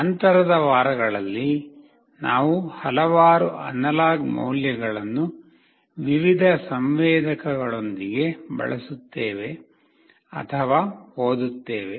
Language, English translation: Kannada, We will see in the subsequent weeks that we will be using or reading many analog values with various sensors